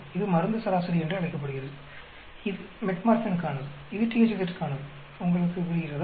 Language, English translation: Tamil, This is called the drug average; this is for Metformin, this is for the THZ, you understand